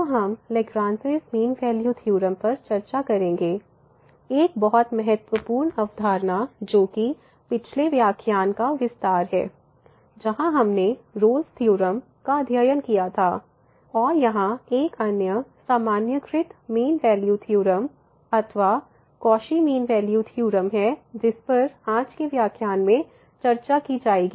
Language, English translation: Hindi, So, we will discuss the Lagrange mean value theorem; a very important concept which is the extension of the previous lecture where we have a studied Rolle’s theorem and there is another generalized a mean value theorem or the Cauchy mean value theorem which will be also discussed in today’s lecture